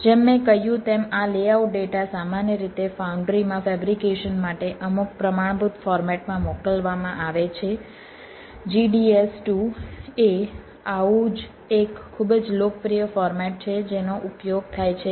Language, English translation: Gujarati, as i said, this layout data is is usually send in some standard format for fabrication in the foundry g d s to is one such very popular format which is used